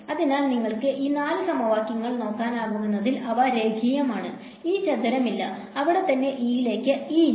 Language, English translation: Malayalam, So, as you can look at these 4 equations they are linear there is no E square there is no E into H right there all by themselves in a linear form